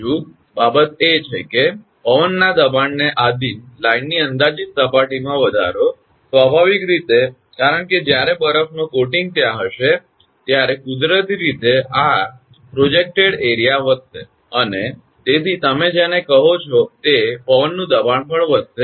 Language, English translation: Gujarati, Second thing is, increase the projected surface of the line subject to wind pressure; naturally, because when ice coating will be there, so naturally that projected area will increase, and hence what you call that it will, wind pressure also will increase